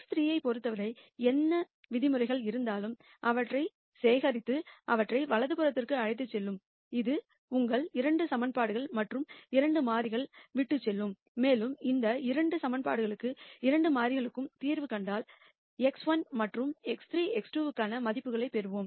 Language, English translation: Tamil, And whatever are the terms with respect to x 3 you collect them and take them to the right hand side; that would leave you with 2 equations and 2 variables and once we solve for that 2 equations and 2 variables we will get values for x 1 and x 3 x 2